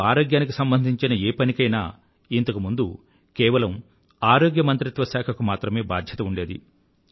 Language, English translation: Telugu, Earlier, every aspect regarding health used to be a responsibility of the Health Ministry alone